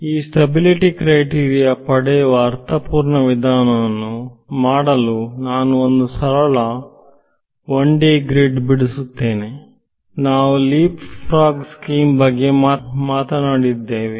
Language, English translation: Kannada, So, for doing this intuitive way of arriving at the stability criteria what I will do is I will draw a simple 1D grid right LeapFrog scheme is what we have been talking about